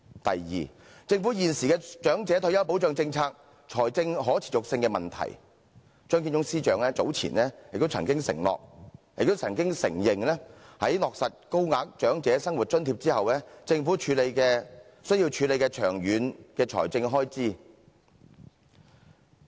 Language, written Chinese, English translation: Cantonese, 第二，政府現時的長者退休保障政策財政可持續性的問題，張建宗司長早前也曾經承認在落實高額長者生活津貼後，政府需要處理長遠的財政開支。, Second it is the financial sustainability of the existing government policy on retirement protection . Secretary Matthew CHEUNG has earlier admitted that the Government has to address its long - term financial expenses after implementing the Higher Old Age Living Allowance